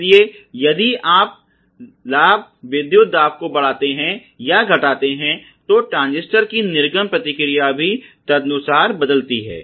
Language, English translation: Hindi, So, if you increase or decrease the gain voltage, the output response of the transistor is also going to be change accordingly